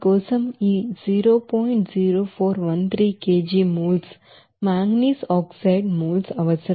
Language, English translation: Telugu, 0413 kg moles of manganese oxide is required